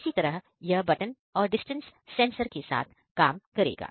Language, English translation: Hindi, Similarly you can; this will work with the button and the distance sensor